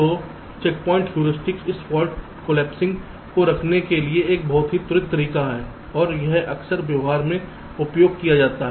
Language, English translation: Hindi, so checkpoint heuristic is a very quick method to do this fault collapsing right, and this is often used in practice